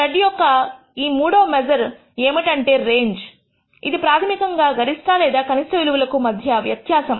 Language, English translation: Telugu, A third measure of spread is what is called the range that is basically the difference between the maximum and minimum value